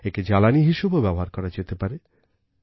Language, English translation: Bengali, It can be recycled; it can be transformed into fuel